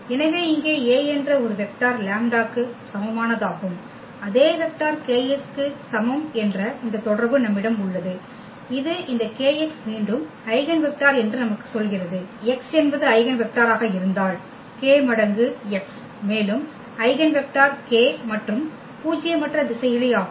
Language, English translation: Tamil, So, we have this relation that A some vector here is equal to lambda the same vector kx which tells us that this kx is the eigenvector again, if the x was the eigenvector the k times x is also the eigenvector for any this k and nonzero scalar